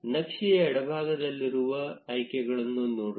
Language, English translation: Kannada, Let us look at the options on the left of the layout